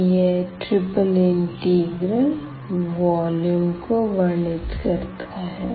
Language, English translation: Hindi, So, how to evaluate the triple integral